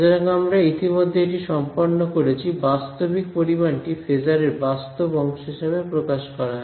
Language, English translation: Bengali, So, we have already done this the real valued quantity is expressed in terms of the real part of the phasor right